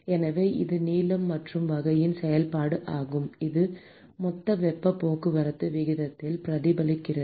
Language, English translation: Tamil, So it is a function of the length and sort of , it is reflected in the total heat transport rate